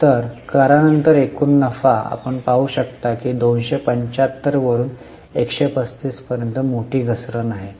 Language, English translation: Marathi, So, overall profit after tax you can see is a major fall from 275 to 135